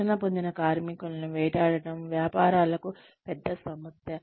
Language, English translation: Telugu, Poaching trained workers is a major problem for businesses